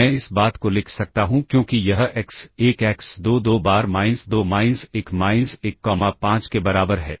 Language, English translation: Hindi, This is equal to x1x2 twice minus 2 minus 1 minus 1 comma 5